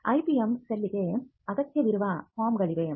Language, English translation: Kannada, Now, there are forms that the IPM cell will need